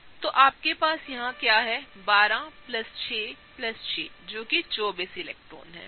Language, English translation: Hindi, So, what do you have here is 12 plus 6 plus 6 that is 24 electrons, right